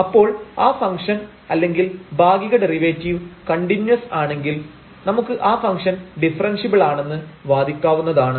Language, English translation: Malayalam, So, if you observe that the function is or the partial derivative is continuous, then we can claim that the function is differentiable